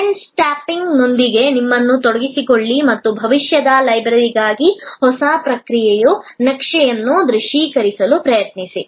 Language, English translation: Kannada, Engage yourself with trends spotting and try to visualize the new process map for the library of the future